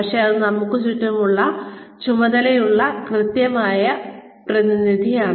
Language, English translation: Malayalam, But, that is an accurate representative, of the task at hand